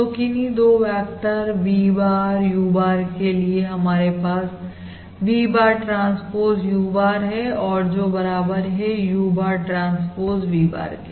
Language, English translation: Hindi, So, for any 2 vectors, V bar and U bar, we have V bar transpose U bar is equal to U bar, transpose V bar